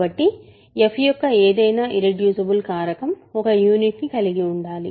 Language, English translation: Telugu, So, any reducible factorization of f must contain a unit